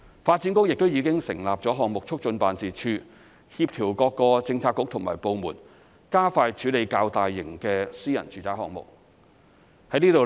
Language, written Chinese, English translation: Cantonese, 發展局亦已經成立項目促進辦事處，協調各個政策局和部門，加快處理較大型的私人住宅項目。, DB has set up the Development Projects Facilitation Office to coordinate various Policy Bureaux and departments in expediting relatively large - scale private residential projects